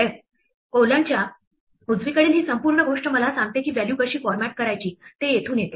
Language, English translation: Marathi, 2f, this whole thing to the right of the colon tells me how to format the values comes from here